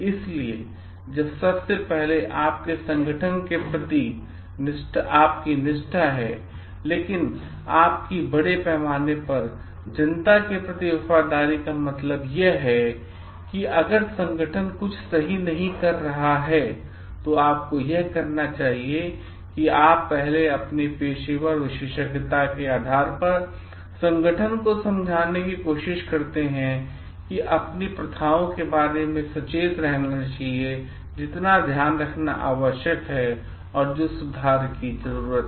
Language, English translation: Hindi, So, at first it is your loyalty towards your organization, but also it is your loyalty towards the public at large means you should if the organization is not doing something correct, you first try to sense based on your professional expertise, you try to sensitize the organization about its practices which needs to be taken care of, which needs to be improved